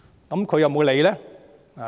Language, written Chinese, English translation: Cantonese, "但他有沒有理會呢？, But did he take heed of it?